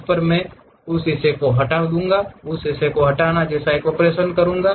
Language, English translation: Hindi, On that I will make operation like remove that portion, remove that portion